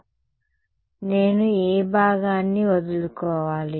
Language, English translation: Telugu, So, I should drop out which part